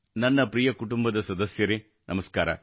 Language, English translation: Kannada, My dear family members, Namaskar